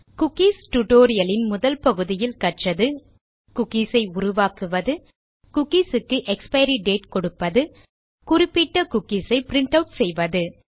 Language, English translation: Tamil, Just to summarise in the first part of the cookie tutorial, we learnt how to create cookies, how to give an expiry date to the cookie and how to print out specific cookies